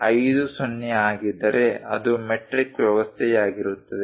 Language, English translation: Kannada, 50, it is a metric system